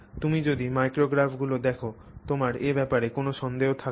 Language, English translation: Bengali, There is no doubt about it when you look at the micrographs it shows that that is the case